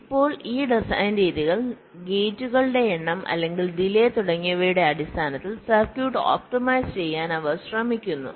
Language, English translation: Malayalam, these design methodologies, they try to optimize the circuit in terms of either the number of gates or the delay and so on